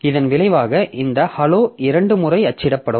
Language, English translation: Tamil, As a result this hallow will be printed twice